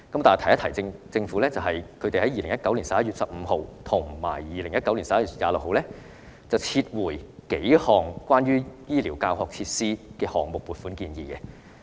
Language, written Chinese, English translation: Cantonese, 但是，政府在2019年11月15日和11月26日撤回數項關於醫療教學設施項目的撥款建議。, Yet the Government withdrew several funding proposals for health care teaching facilities projects on 15 November and 26 November 2019 respectively